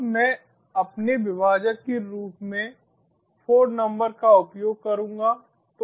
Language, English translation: Hindi, right now i will use the number four as my delimiter